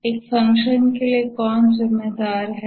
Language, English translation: Hindi, Who is responsible for a function